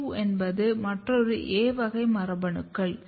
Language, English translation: Tamil, AP2 is another A class of genes which you will see